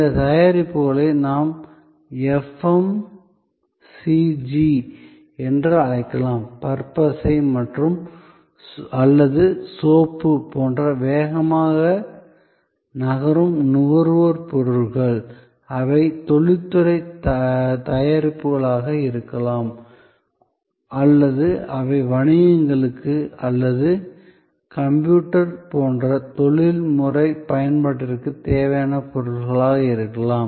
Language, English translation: Tamil, These products could be what we call FMCG, Fast Moving Consumer Goods like toothpaste or soap, they could be industrial products or they could be products required for businesses or for professional use like a computer and so on